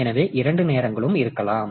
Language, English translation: Tamil, So, both the times may be there